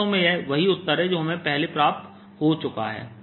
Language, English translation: Hindi, indeed, the answer we had obtained earlier